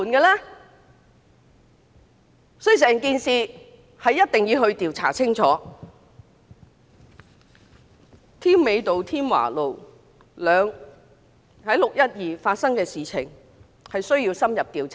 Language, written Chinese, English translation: Cantonese, 6月12日在添美道及添華道發生的事件需要深入調查。, We must inquire into what exactly happened at Tim Mei Avenue and Tim Wa Avenue on 12 June